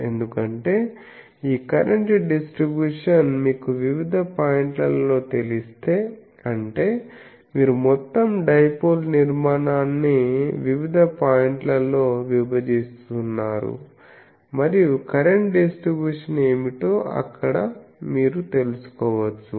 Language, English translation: Telugu, Because, if you know this current distribution at various points; that means, you are dividing the whole dipole structure in various points and there you can find out what is the current distribution